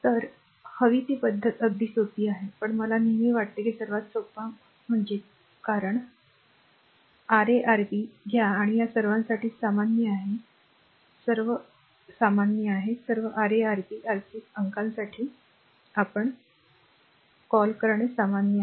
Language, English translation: Marathi, So, it is very easy the way you want, but I always feel this is the simplest one because product R 1 R 2 R 2 R 3 R 3 R 1 product; you take and this is common for all this is common for all the your what you call for all Ra Rb Rc numerator is common